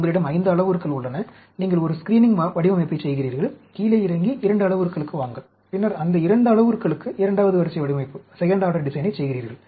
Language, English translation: Tamil, You have 5 parameters, you do a screening design; come down to 2 parameters, and then, you do a second order design for those 2 parameters